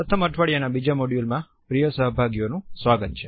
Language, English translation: Gujarati, Welcome dear participants to the second module of the first week